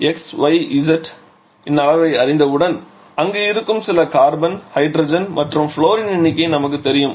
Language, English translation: Tamil, We know the number of; once we know the magnitude of xy and z we know the magnitudes or sorry you know the number of some carbon, hydrogen, fluorine present there